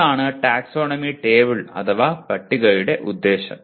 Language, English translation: Malayalam, That is broadly the purpose of taxonomy table